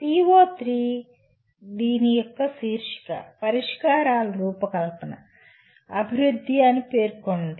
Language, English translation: Telugu, PO3 states that design, development of solutions that is the title of this